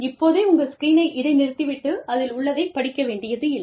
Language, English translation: Tamil, But, you do not need to bother about, pausing your screens, and reading it on the screen